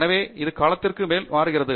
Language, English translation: Tamil, So, it changes over a period of time